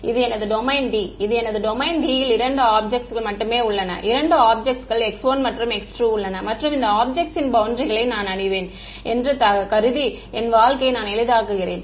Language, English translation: Tamil, This is my domain D; my domain D has only two objects ok, two objects x 1 and x 2 and further what I am assuming to make my life easier that I know the boundaries of these objects ok